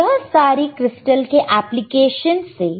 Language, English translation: Hindi, So, therse are thise applications of the crystal